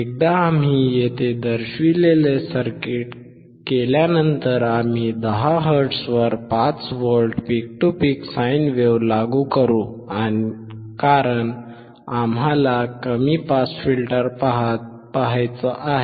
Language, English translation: Marathi, Once we connect the circuit shown here, we will apply a 5V peak to peak sine wave at 10 hertz because we want to see low pass filter